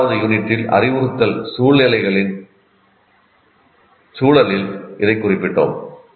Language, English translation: Tamil, And we mentioned this in the context of our second unit itself, what you call instructional situations